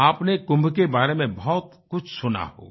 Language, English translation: Hindi, You must have heard a lot about Kumbh